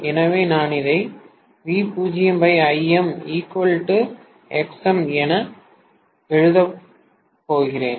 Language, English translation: Tamil, So, I am going to write V0 by Im is equal to Xm, right